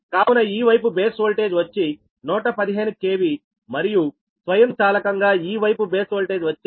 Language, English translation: Telugu, so this side base voltage is one one fifteen k v and automatically base voltage six point six k v is taken